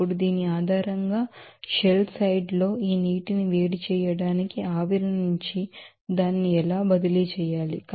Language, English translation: Telugu, Now, based on this, how must it must be transferred from the steam to heat of this water in shell side